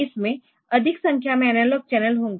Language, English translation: Hindi, So, it can have a number of analog channels